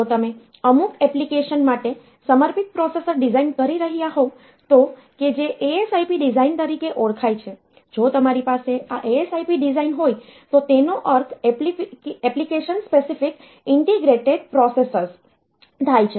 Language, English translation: Gujarati, So, you can and if you are designing a dedicated processor for some application, which are known as the ASIP design; if you are having these ASIP designs which stands for Application Specific Integrated Processors